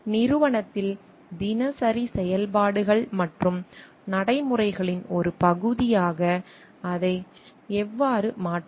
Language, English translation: Tamil, How to make it a part of the daily functions and procedures in the organization